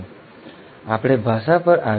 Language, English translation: Gujarati, Now let us come to the language